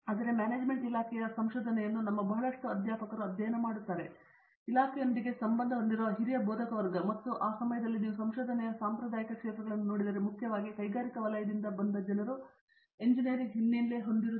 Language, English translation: Kannada, So, even prior to the research from the department of management studies a lot of our faculty, senior faculty where associated with the humanities department and if you look at the traditional areas of research at that point of time were mainly people who came from an industrial engineering background